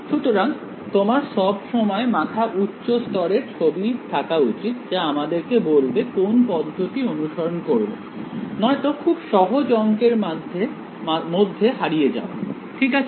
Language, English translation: Bengali, So, you should always have this high level picture in that mind that this is the strategy, that we are following otherwise, its easy to get lost in math all right clear